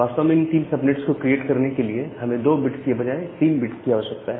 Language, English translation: Hindi, So, to create three subnets indeed, we require 3 bits and not 2 bits